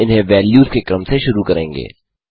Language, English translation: Hindi, We initiate them as sequence of values